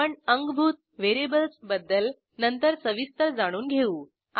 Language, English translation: Marathi, We will see more about builtin variables later